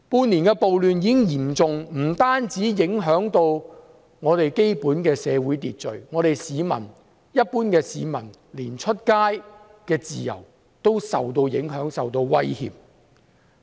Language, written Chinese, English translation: Cantonese, 半年嚴重暴亂不單影響社會秩序，連市民外出的自由也受到影響和威脅。, The severe riots over the past six months have affected not only social order but also the freedom of the citizens to go out